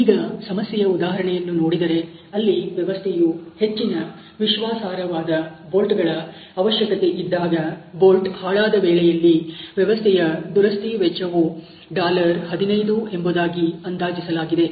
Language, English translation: Kannada, If you look at the problem example the system require highly reliable bolts, in case of bolt failure the system repair cost is estimated to be $15